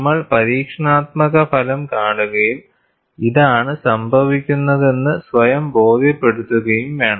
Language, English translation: Malayalam, And we need to see the experimental result and re convince ourself this is what happens